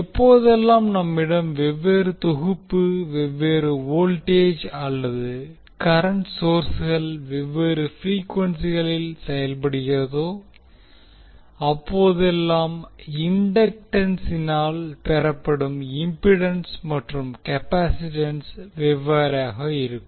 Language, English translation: Tamil, Whenever we have different set, different voltage or current sources operating at different frequencies we will see that the value of inductance and capacitance C not the value of inductance and capacitance, we will say that it is the impedance offered by the inductance and capacitance will be different